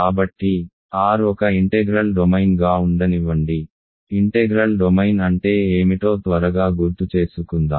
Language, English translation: Telugu, So, let R be an integral domain, let us recall quickly what is an integral domain